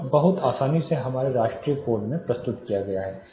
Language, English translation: Hindi, This is much easily presented in our national code